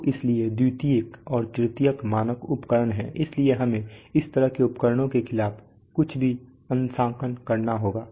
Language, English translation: Hindi, So therefore there are secondary and tertiary standard equipment so anything we have to be calibrated against such an instrument